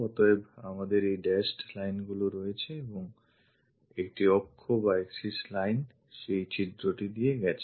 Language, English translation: Bengali, So, we have these dashed lines and an axis line pass through that hole